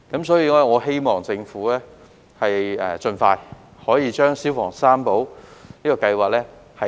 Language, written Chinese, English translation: Cantonese, 所以，我希望政府盡快推動"消防三寶"計劃。, Therefore I hope that the Government will expeditiously take forward this scheme